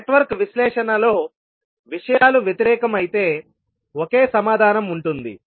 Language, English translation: Telugu, While in Network Analysis the things are opposite, there will be only one answer